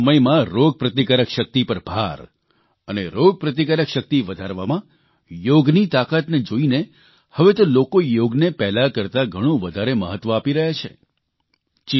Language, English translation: Gujarati, In these times of Corona, with a stress on immunity and ways to strengthen it, through the power of Yoga, now they are attaching much more importance to Yoga